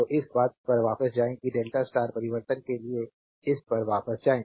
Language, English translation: Hindi, So, go back to this thing right that delta to star transformation right go back to this